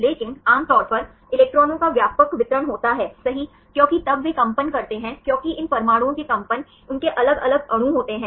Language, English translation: Hindi, But usually the electrons are wide distribution right because the right then they vibrate because the vibration of these atoms, they have the different molecules